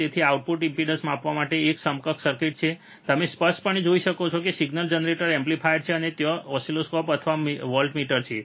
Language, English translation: Gujarati, So, this is an equivalent circuit for measuring the output impedance, you can clearly see there is a signal generator is the amplifier, and there is a oscilloscope or voltmeter